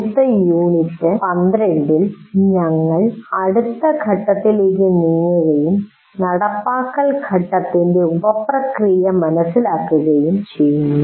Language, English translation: Malayalam, And in the next unit, unit 12, we try to now move on to the next one, the understand the sub process of implement phase